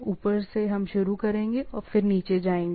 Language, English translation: Hindi, From the top we will start and then go on the down, right